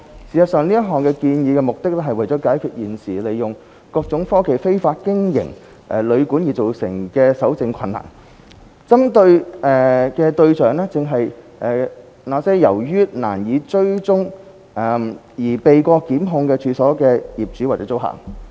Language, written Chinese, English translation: Cantonese, 事實上，這項建議的目的，是為了解決現時利用各種科技非法經營旅館而造成的搜證困難，針對的對象正是那些由於難以追蹤而避過檢控的處所業主或租客。, In fact the purpose of this proposal is to address the difficulties in evidence collection arising from the use of various technologies in the illegal operation of hotels and guesthouses at present . It is intended to target at precisely those owners or tenants of the premises who are difficult to trace and hence could easily evade prosecution